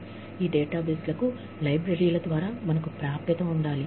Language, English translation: Telugu, We have to have, access to these databases, through the libraries